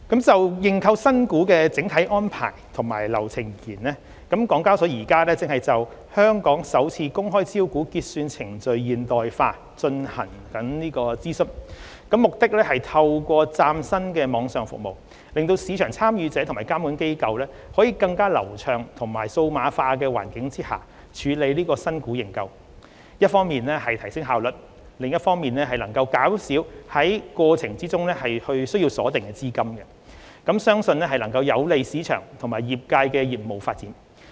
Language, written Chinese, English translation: Cantonese, 就認購新股的整體安排及流程而言，港交所現正就"香港首次公開招股結算程序現代化"進行諮詢，目的是透過嶄新網上服務，使市場參與者及監管機構在更流暢及數碼化的環境下處理新股認購，一方面提升效率，另一方面能減少在過程中需鎖定的資金，相信能有利市場及業界的業務發展。, In terms of the overall arrangements and processes for IPO subscription HKEX is conducting a consultation on New Proposal to Modernise Hong Kong IPO Settlement Process . The proposal seeks to enable market participants and regulatory authorities to process IPO subscriptions under a more streamlined and digitalized environment through providing brand new online services thereby enhancing efficiency on one hand and reducing the funds that are required to be locked up during the process on the other . It is believed that the proposal can facilitate the development of the market and the businesses of the industry